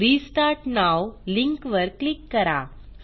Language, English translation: Marathi, Click on the Restart now link